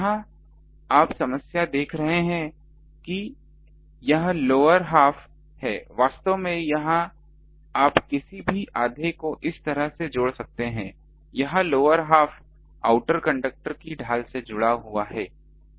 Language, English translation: Hindi, Here you see the problem is that this lower half this half, actually this you can do ah any half you can connect like this; this lower half it is connected to the shield of the outer conductor